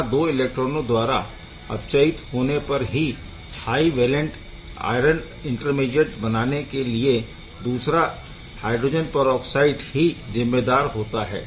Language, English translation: Hindi, So, the second H2O2; that means, this one is responsible for a reduction of 2 reduction by 2 electron to form these high valent iron intermediate to iron III intermediate